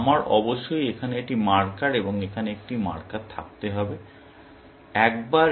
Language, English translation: Bengali, So, I must have a marker here, and a marker here